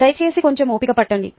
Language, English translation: Telugu, please have some patience